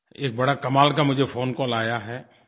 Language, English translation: Hindi, I have received an incredible phone call